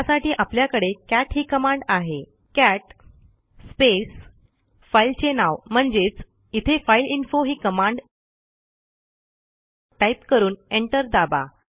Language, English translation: Marathi, Just type cat space and the name of the file , here it is fileinfo and press enter